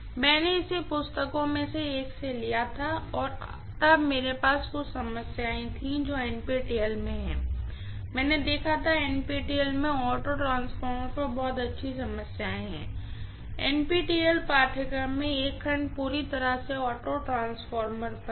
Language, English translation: Hindi, I had taken this from one of the books and then I had, there are some problems that are there in NPTEL, I had seen there are very good problems on auto transformer in NPTEL, NPTEL course has one section completely on auto transformer